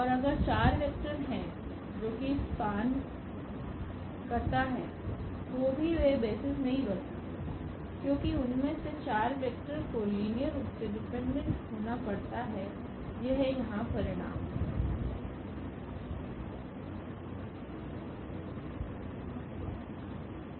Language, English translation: Hindi, And so, if there are 4 vectors which is span r 3 they cannot be they cannot be basis because, 4 vectors from R 3 they have to be linearly dependent this is the result here